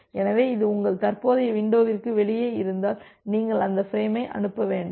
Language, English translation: Tamil, So, if it is outside your current window you do not transmit that frame